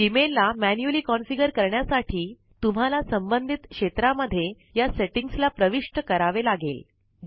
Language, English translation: Marathi, To configure Gmail manually, you must enter these settings in the respective fields